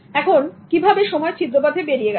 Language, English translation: Bengali, How do you let the time get leaked